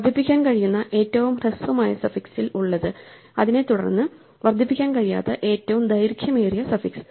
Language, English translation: Malayalam, The shortest suffix that can be incremented consists of something followed by the longest suffix cannot be incremented